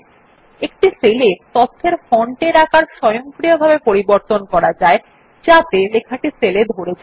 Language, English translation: Bengali, The font size of the data in a cell can be automatically adjusted to fit into a cell